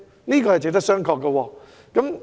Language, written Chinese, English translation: Cantonese, 這點值得商榷。, That is a point worth considering